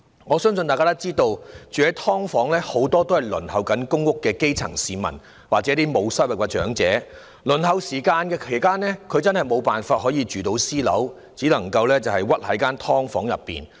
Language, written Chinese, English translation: Cantonese, 我相信大家都知道，居於"劏房"的人很多是正在輪候公屋的基層市民，或沒有收入的長者，輪候期間真的無法入住私樓，只能屈居於"劏房"。, I believe all of us must be aware that many of those living in subdivided units are the grass roots on the PRH Waiting List or elderly people without any income . It is indeed impossible for them to live in private buildings while waiting for PRH so they can only live miserably in subdivided units